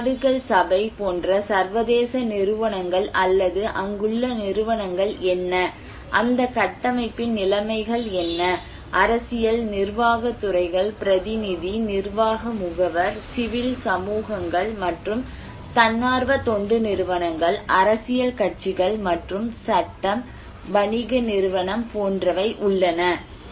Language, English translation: Tamil, International like United Nations or institutions like what are the institutions there, what are the conditions of that structure, political, administrative sectors, representative, executive agencies, civil societies and NGOs, political parties and law, commercial enterprise